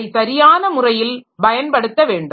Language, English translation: Tamil, I should be able to utilize it properly